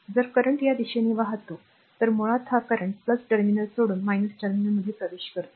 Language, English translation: Marathi, If current is flowing this direction, so basically this current entering to the minus terminal leaving the plus terminal